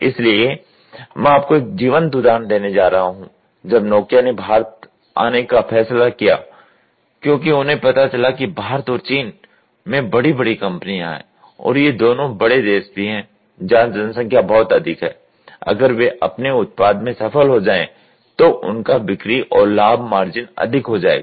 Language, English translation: Hindi, So, I will tell you a live example when Nokia decided to come to India because they found out India and China are big companies are big countries where population is very high, if they could make a breakthrough in their product then they can have a better sale and their profit margin will go high